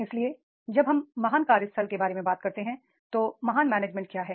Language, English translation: Hindi, So when we talk about the great workplace what is the great management is